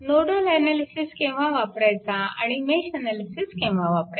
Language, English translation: Marathi, So, where you will go for nodal analysis and where will go for mesh analysis look